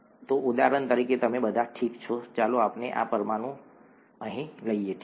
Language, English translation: Gujarati, So for example, you all, okay let us take this molecule here, okay